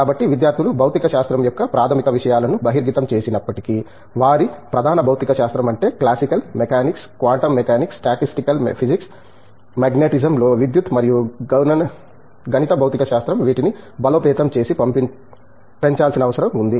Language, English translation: Telugu, So, although the students have exposure to fundamentals of physics, their core physics namely classical mechanics, quantum mechanics, statistical physics, electricity in magnetism and mathematical physics these needs to be strengthened and augmented